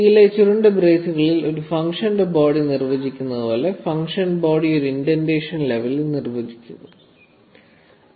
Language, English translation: Malayalam, Just like the body of a function is defined within curly braces in C; in python, the function body is defined within an indentation level